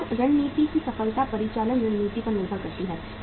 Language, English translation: Hindi, Success of the business strategy depends upon the operational strategy